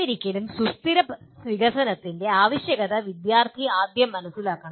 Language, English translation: Malayalam, But still student should understand the need for sustainable development first